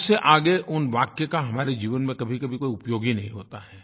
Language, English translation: Hindi, Beyond that, these sentences serve no purpose in our lives